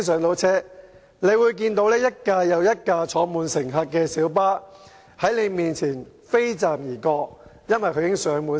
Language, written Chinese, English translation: Cantonese, 局長應該會看到一部又一部載滿乘客的小巴，在他面前"飛站"，原因是全車滿座。, The Secretary will probably see one light bus after another skipping the stop because they are fully occupied